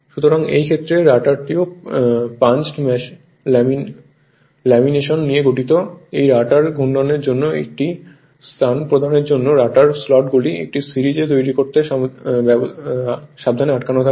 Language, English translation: Bengali, So, in this case, the rotor is also composed of punched lamination these are carefully you are stuck to create a series of rotor slots to provide space for the rotor winding